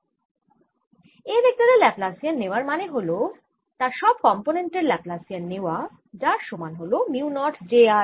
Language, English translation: Bengali, by taking laplacian of vector a one means that you are taking laplacian of each component of a and this is equal to mu naught j of r